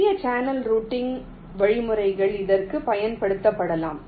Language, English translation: Tamil, and simple channel routing algorithms can be used for this